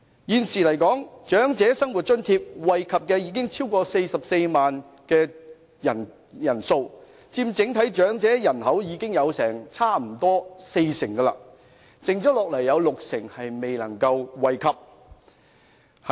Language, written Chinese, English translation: Cantonese, 現時長者生活津貼惠及超過44萬人，差不多佔整體長者人口的四成，還有六成人未能惠及。, At present the Old Age Living Allowance benefits over 440 000 people representing almost 40 % of the entire elderly population but 60 % have not been benefited